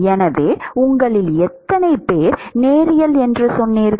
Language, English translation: Tamil, So, how many of you said linear